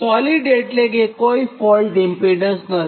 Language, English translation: Gujarati, solid means there is no fault, impedance